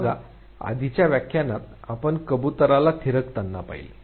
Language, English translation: Marathi, Say like, in the previous lectures we saw the pigeons pecking